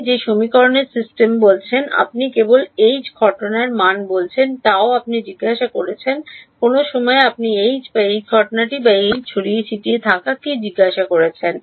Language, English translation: Bengali, You are telling the in a system of equations you are telling the value of H incident only on gamma you are asking what is H inside at some point what are you asking H or H incident or H scattered